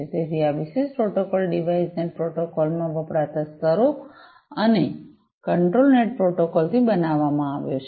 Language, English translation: Gujarati, So, this particular protocol is constructed from layers used in the device net protocol and the control net protocol